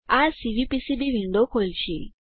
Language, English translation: Gujarati, This will open the Cvpcb window